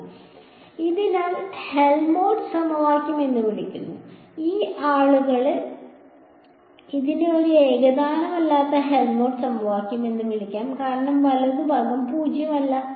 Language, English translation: Malayalam, So, this is called the Helmholtz equation some people may call it a non homogeneous Helmholtz equation because the right hand side is non zero ok